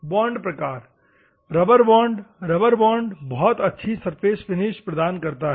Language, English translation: Hindi, Bond type: rubber bond, rubber bond produces high finishes